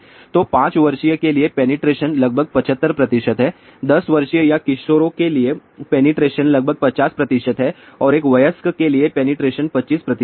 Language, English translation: Hindi, So, for a 5 year old the penetration is almost 75 percent, for a 10 year old or teenagers the penetration is about 50 percent and for an adult the penetration is 25 percent